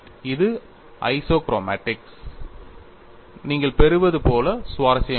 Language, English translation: Tamil, And this is as interesting, like what you get for isochromatics